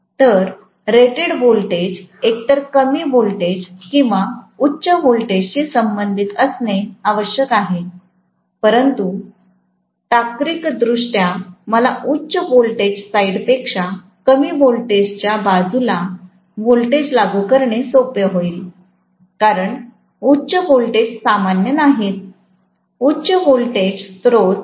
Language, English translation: Marathi, So the rated voltage has to be corresponding to either low voltage high voltage but logistically it will be easy for me to apply the voltage on the low voltage side rather than high voltage side because high voltages are not common, high voltage sources are not common, right